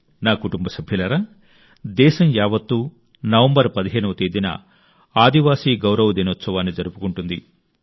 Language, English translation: Telugu, My family members, the entire country will celebrate the 'Janjaatiya Gaurav Diwas' on the 15th of November